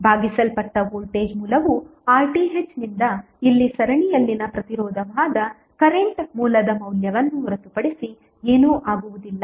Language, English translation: Kannada, That the voltage source divided by the R Th that is the resistance in series would be nothing but the value of current source here